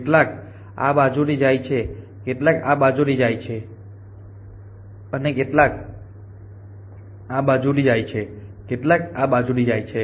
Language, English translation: Gujarati, Some goes this way some goes this way some goes this way some go that